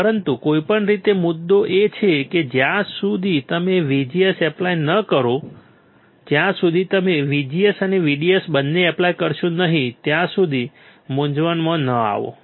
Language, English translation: Gujarati, , But anyway the point is until unless you apply VGS do not get confused with this, the until you apply VGS and VDS both